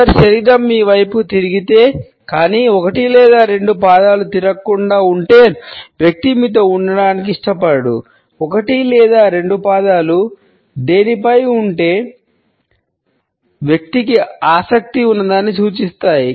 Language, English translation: Telugu, If someone’s body is turned towards you, but one or both feet are not the person does not want to be with you; one or both feet point at something the person is interested in